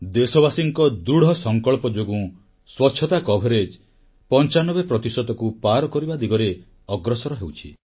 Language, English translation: Odia, On account of the unwavering resolve of our countrymen, swachchata, sanitation coverage is rapidly advancing towards crossing the 95% mark